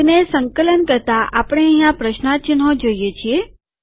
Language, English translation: Gujarati, On compiling it, we see question marks here